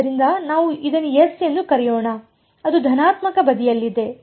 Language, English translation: Kannada, So, let us call this s plus it is on the positive side